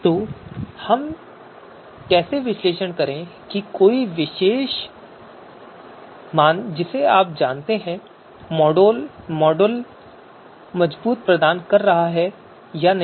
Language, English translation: Hindi, So how do we analyze whether you know a particular you know model is providing robust results or not